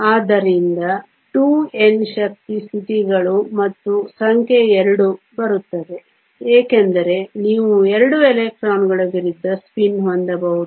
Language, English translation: Kannada, So, 2 times N energy states and the number 2 comes because you can have 2 electrons of opposite spin